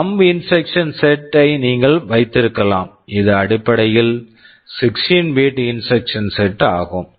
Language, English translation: Tamil, Yyou can have the thumb instruction set which is essentially a 16 6 bit instruction set right so